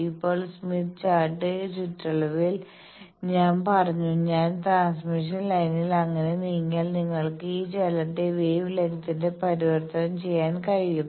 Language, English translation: Malayalam, Now in the Smith Chart periphery I said that this movement you can convert to a wavelength if I move in the transmission line by so and so